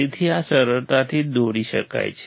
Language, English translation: Gujarati, So, this can be drawn easily